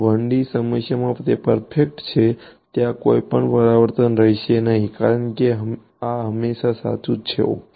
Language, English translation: Gujarati, In a 1 D problem it is perfect there is going to be no reflection because this is always true ok